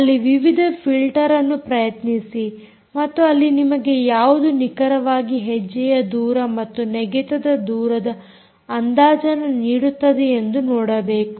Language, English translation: Kannada, try different filters there and see which one of them accurately give you, ah, the step length and stride length estimation